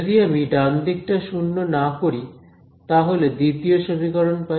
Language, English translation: Bengali, If I make the right hand side non zero, I get the second equation